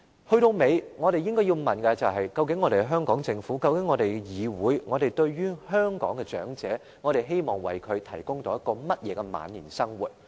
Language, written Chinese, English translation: Cantonese, 歸根究底，我們應該要問的是究竟香港政府和立法會希望為香港的長者提供怎樣的晚年生活？, In the final analysis the question we should ask is What kind of living do the Hong Kong Government and the Legislative Council wish to provide to the elderly in their twilight years?